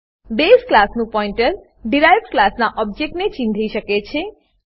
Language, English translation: Gujarati, Pointer of base class can point to the object of the derived class